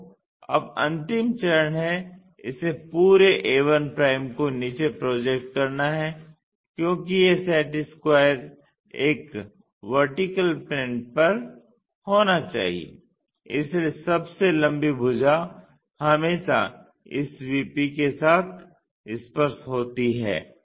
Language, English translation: Hindi, So, now, the last step is project this entire a 1 all the way down, because this set square supposed to be on vertical plane so, the longest one always being touch with this vertical plane